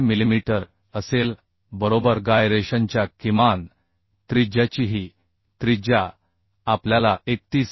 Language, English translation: Marathi, 4 millimetre right this radius of gyration minimum radius of gyration we could found we could find as 31